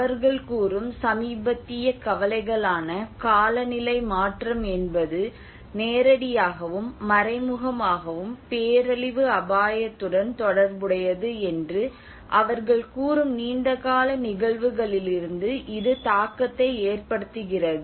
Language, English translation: Tamil, And it has the impact is more from a long run instances like when you see about the recent phenomenon, the recent concerns they are relating that the climate change is, directly and indirectly, related to the disaster risk